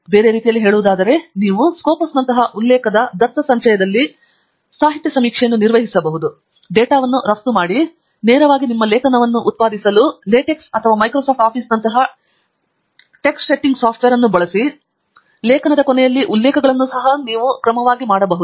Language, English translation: Kannada, in other words, you can perform a literature survey in a citation database such as this, Copas, export the data and use it directly using typesetting software such as latex or Microsoft Office to generate your article references at the end of the article, and you can also use it for your thesis